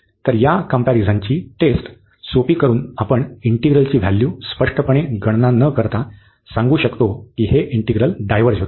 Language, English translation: Marathi, So, by simple this comparison test, we are able to tell without explicitly computing the value of the integral that this integral diverges